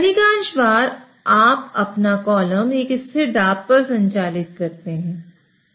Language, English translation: Hindi, So, most of the times you would operate your column at constant pressure